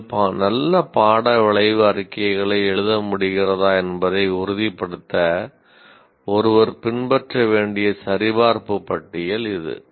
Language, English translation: Tamil, This is a checklist that one needs to follow to make sure that you are able to write good course outcome statements